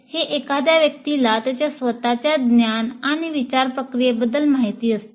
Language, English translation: Marathi, It is also a person's awareness of his or her own level of knowledge and thought processes